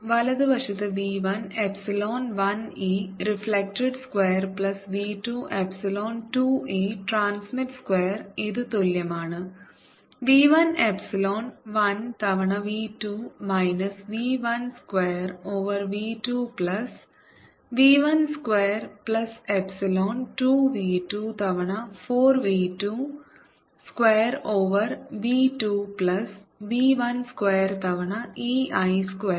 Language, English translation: Malayalam, right hand side is v one epsilon one e reflected square plus v two epsilon two e transmitted square, which is equal to v one epsilon one epsilon one times v two minus v one square over v two plus v one square plus epsilon two v two times four